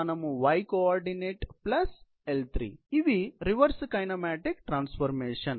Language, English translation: Telugu, So, these are the reverse kinematic transformations